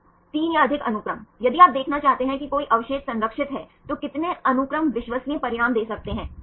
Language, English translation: Hindi, 3 or more sequences, if you want to see any residues are conserved how many sequences will can give the reliable results